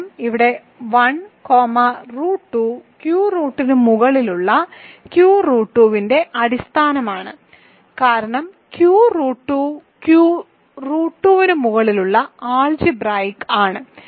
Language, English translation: Malayalam, Because here 1 comma root 2 is a basis of Q root 2 over Q remember because root 2 is algebra over Q root 2 is actually equal to Q square bracket root 2 and you want to say that this is all polynomials in root 2